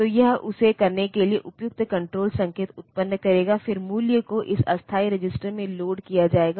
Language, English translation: Hindi, So, it will generate the appropriate control signals for doing that the value will be loaded into this temporary register